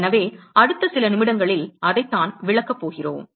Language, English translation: Tamil, So, that is what we are going to explain in a next few minutes